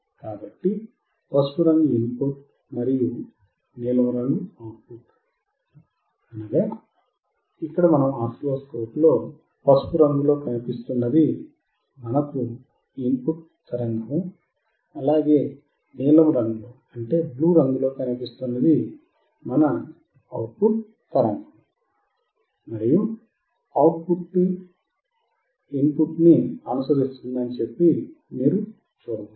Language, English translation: Telugu, So, yellow and blue are the input and output, and you can see that the output is following the input